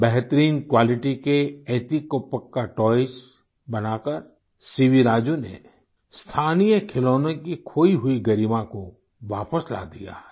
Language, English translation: Hindi, By making excellent quality etikoppakaa toys C V Raju has brought back the lost glory of these local toys